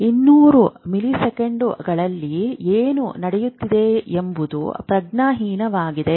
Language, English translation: Kannada, Whatever is happening under 200 milliseconds is unconscious